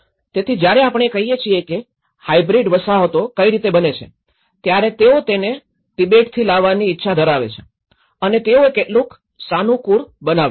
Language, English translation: Gujarati, So, when we say how hybrid settlements are produced, one is wanted to bring from Tibet and how much did they adapt